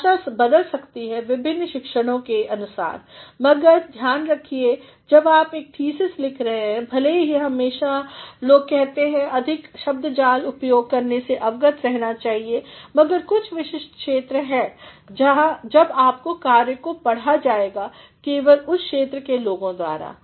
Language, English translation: Hindi, Languages may vary depending upon the different disciplines, but see to it when you are writing a thesis though people always say that one should be aware of making use of excessive Jargons, but in some particular area when your work is to be read simply by people of those areas